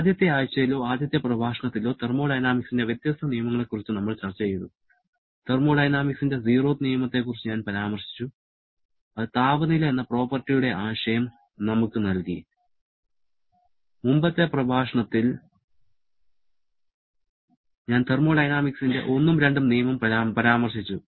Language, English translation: Malayalam, Then, we discussed about the different laws of thermodynamics like in the first week or I should say in the first lecture, I mentioned about the zeroth law of thermodynamics which gave us the concept of the property named temperature and in the previous lecture, I mentioned about both first and second law of thermodynamics